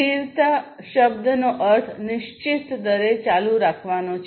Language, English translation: Gujarati, So, the term sustainability means to continue at a fixed rate